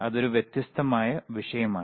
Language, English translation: Malayalam, and tThat is a different topic